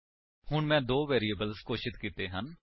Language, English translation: Punjabi, So, I have declared two variables